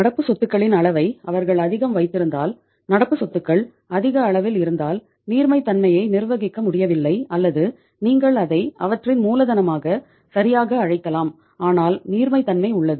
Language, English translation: Tamil, If they are keeping such amount of the current assets, very large amount of the current assets it means they are not able to manage the liquidity or you can call it as their working capital properly but liquidity is there